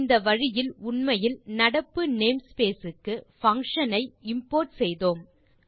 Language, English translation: Tamil, In this method we actually imported the functions to the current name space